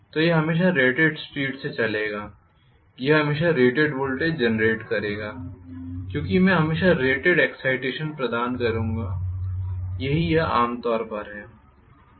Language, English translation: Hindi, So, it will always run at rated speed it will always generate rated voltage because I will always provide rated excitation that is how it is generally